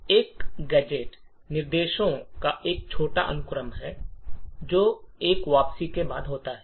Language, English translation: Hindi, Now a gadget is a short sequence of instructions which is followed by a return